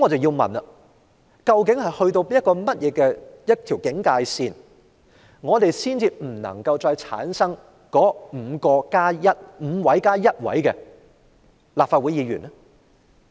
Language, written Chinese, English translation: Cantonese, 那麼，究竟出缺人數到達哪條警戒線才不會繼續選出上述 "5+1" 的立法會議員？, Then at which point in terms of the number of vacancies will the authorities stop electing the aforesaid 51 Legislative Council Members?